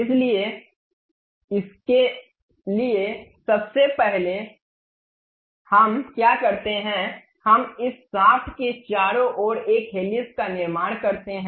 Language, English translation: Hindi, So, first for that what we do is we construct a helix around this shaft